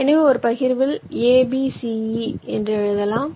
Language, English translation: Tamil, so you have written this: a, b, c, e in one partition